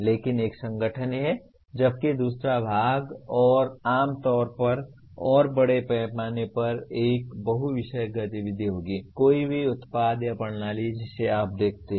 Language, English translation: Hindi, But the second part while in an organization, generally by and large it will be a multidisciplinary activity, any product or system that you look at